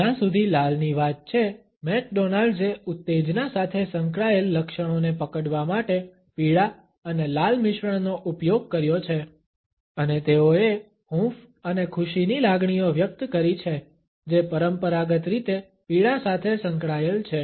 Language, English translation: Gujarati, McDonald has used yellow and red combination to capture the associated traits of excitement as far as red is concerned, and they conveyed feelings of warmth and happiness which are conventionally associated with yellow